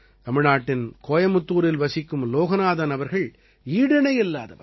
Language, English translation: Tamil, Loganathanji, who lives in Coimbatore, Tamil Nadu, is incomparable